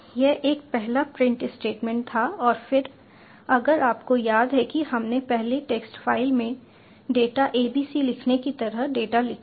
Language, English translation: Hindi, this was a first print statement and then, if you recall, we had earlier written writing data to the text file, like writing data, abc